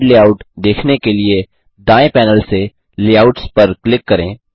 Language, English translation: Hindi, To view the slide layouts, from the right panel, click Layouts